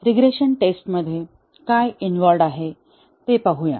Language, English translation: Marathi, Let us see, what is involved in regression testing